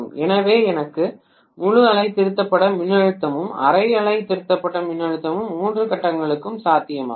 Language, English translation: Tamil, So I have full wave rectified voltage as well as half wave rectified voltage possible with three phase